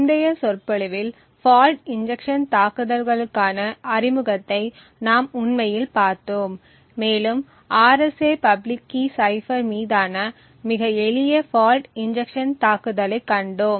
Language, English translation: Tamil, In the previous lecture we had actually looked at an introduction to fault injection attacks and we had seen a very simple fault injection attack on the RSA public key cipher